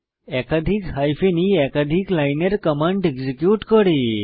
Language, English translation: Bengali, Multiple hyphen e flags can be used to execute multiple line commands